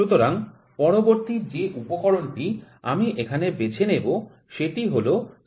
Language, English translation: Bengali, So, next instrument I will pick here is spirit level